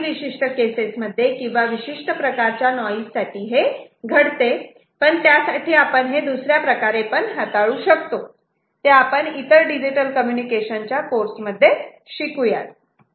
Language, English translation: Marathi, In certain cases, certain kind of noises it might happen, but for that we have got different way to handle that thing which we may study in digital communication course in some other contexts